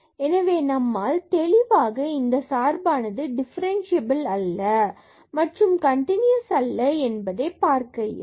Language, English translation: Tamil, So, we can clearly see then the function is not differentiable or is not continuous